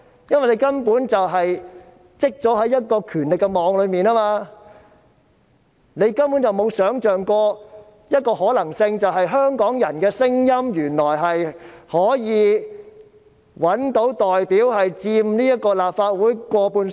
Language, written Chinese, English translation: Cantonese, 因為他們已墜入權力網之中，根本無法想象原來香港人的聲音可以找到代表，而這些代表佔立法會過半數。, Since they have already fallen into the net of power they simply cannot imagine that Hongkongers can in fact find someone to represent their voices and these representatives can be the majority in the Legislative Council